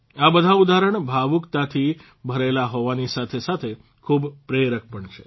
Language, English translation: Gujarati, All these examples, apart from evoking emotions, are also very inspiring